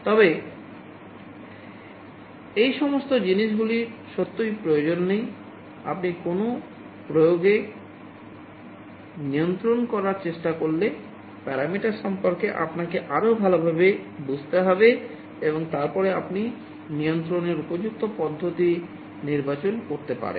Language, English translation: Bengali, But all these things are really not required, you need to understand better about the parameter you are trying to control in an application and then you can select an appropriate method of control